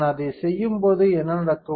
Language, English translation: Tamil, When I do that, what will happen